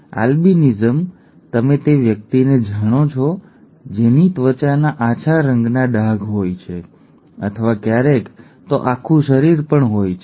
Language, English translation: Gujarati, Albinism, you know the person withÉ who has light coloured skin patches, skin patches or sometimes even the entire body that is albinism, okay